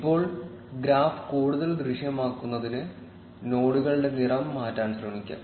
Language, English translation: Malayalam, Now to make the graph more visible, let us try changing the color of the nodes